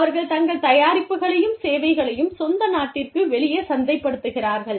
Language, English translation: Tamil, They just market their products and services, outside of the home country